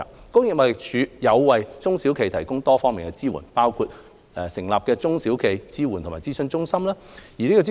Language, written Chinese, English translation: Cantonese, 工業貿易署為中小企業提供多方面的支援，包括成立中小企業支援與諮詢中心。, The Trade and Industry Department TID provides various support services to the small and medium enterprises SMEs including the establishment of the Support and Consultation Centre for SMEs SUCCESS